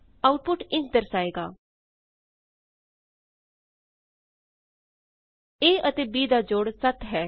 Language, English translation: Punjabi, The output is displayed as, Sum of a and b is 7